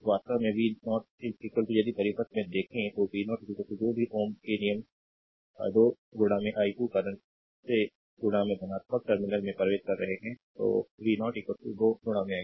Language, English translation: Hindi, Actually v 0 is equal to if you look into the circuit v 0 is equal to that from ohms' law ah 2 into i 2 current entering into the positive terminal so, v 0 is equal to 2 into i 2